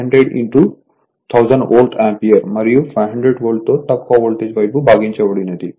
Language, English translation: Telugu, So, this is 500 into 1000 so volt ampere and divided by 500 volt, the low voltage side right